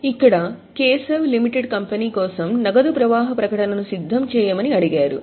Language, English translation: Telugu, So, this is a, we are asked to prepare cash flow statement for Keshav Limited